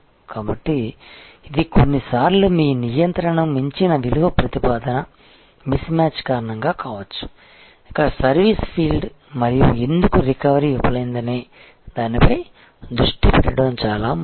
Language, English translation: Telugu, So, it could be due to value proposition miss match that is sometimes beyond your control, what is most important is to focus here that why service field and why recovery failed